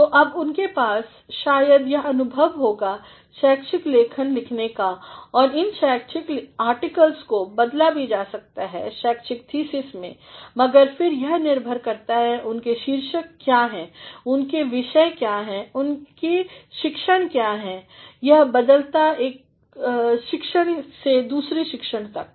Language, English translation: Hindi, So, now, they might be having this experience of writing scholarly articles and these scholarly articles can also be converted into a scholarly thesis, but then depends upon what are their titles, what are their subjects, what is their discipline it varies actually from one discipline are to another